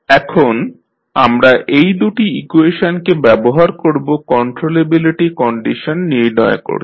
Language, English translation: Bengali, Now, we will use these two equations to find out the controllability condition